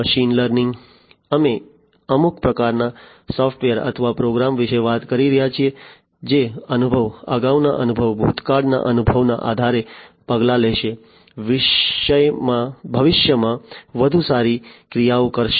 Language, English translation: Gujarati, In machine learning, we are talking about some kind of a software or a program, which based on the experience, previous experience, past experience will take actions, better actions in the future